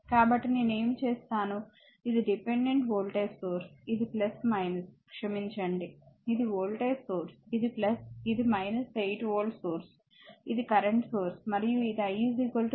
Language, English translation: Telugu, So, what I will do, this is dependent voltage source, this is plus minus, this is your sorry this is your voltage source, this is plus, this is minus 8 volt source, this is the current source right and as it is I is equal to minus 3 ampere